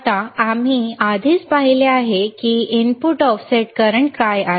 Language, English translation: Marathi, Now, we already have seen what is input offset current